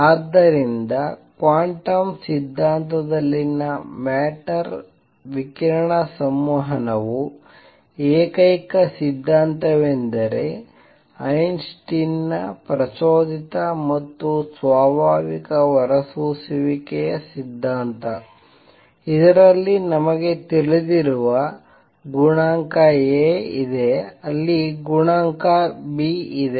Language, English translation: Kannada, So, the only theory of matter radiation interaction in quantum theory is Einstein’s theory of stimulated and spontaneous emission in this really all we know is there exists a coefficient a there exists a coefficient b